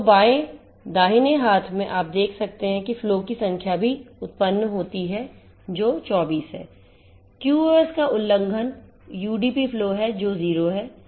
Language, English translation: Hindi, So, in the left right hand side you can see the number of flows is also generated which is 24, number of QoS violated UDP flow which is 0 ok